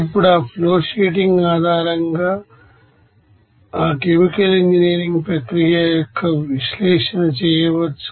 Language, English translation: Telugu, Now based on that you know flowsheeting that is analysis of that chemical engineering process